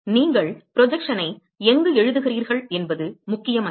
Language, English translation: Tamil, It does not matter where you write the projection